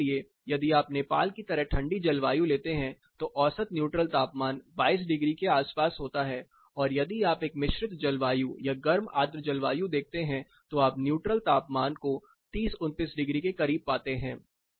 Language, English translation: Hindi, For example, if you take a colder climate like Nepal the mean the neutral temperature was around 22 degrees as a contrary if you see a composite climate or a hot humid climate, you find neutral temperature as high as close to 30 degrees 29 degrees present